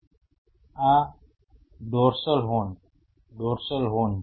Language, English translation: Gujarati, And this is the dorsal horn, dorsal horn